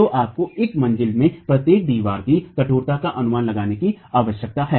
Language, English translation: Hindi, So, you need an estimate of the stiffness of each wall in a story